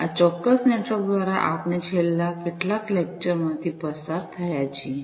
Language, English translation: Gujarati, Through this particular network that we have gone through, in the last few lectures